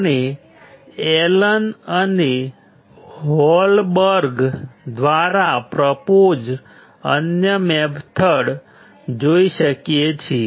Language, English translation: Gujarati, We can see another method that is proposed by Allen and Holberg